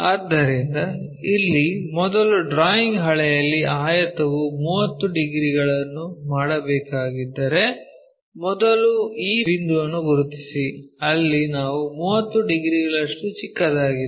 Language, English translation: Kannada, So, here on the drawing sheet first of all if our rectangle supposed to make 30 degrees, first locate the point this one, smaller one making 30 degrees somewhere there